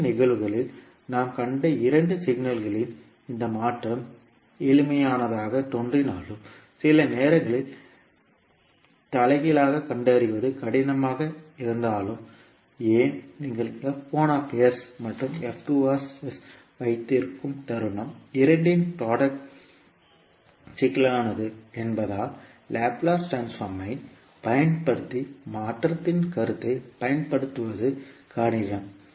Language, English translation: Tamil, Because although this convolution of two signal which we saw in the previous cases looks simple but sometimes finding the inverse maybe tough, why because the moment when you have f1s and f2s the product of both is complicated then it would be difficult to utilise the concept of convolution using Laplace transform